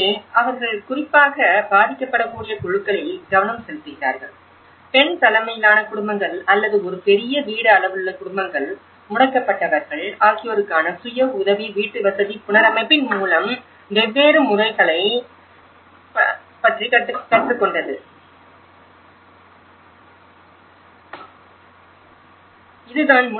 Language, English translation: Tamil, And here, they are focusing on particular vulnerable groups especially, the female headed families or families with a large household size you know, that is how disabled so, this is how we learnt about three different modes of the self help housing reconstruction